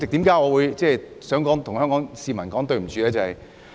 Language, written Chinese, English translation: Cantonese, 為何我想向香港市民說對不起？, Why do I want to apologize to Hong Kong people?